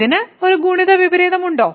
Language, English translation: Malayalam, Does it have a multiplicative inverse